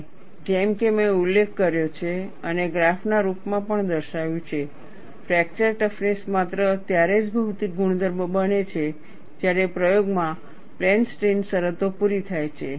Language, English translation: Gujarati, And, as I had mentioned and also shown in the form of graph, fracture toughness becomes a material property only when plane strain conditions are met in the experiment